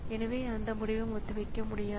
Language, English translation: Tamil, So, this way it goes on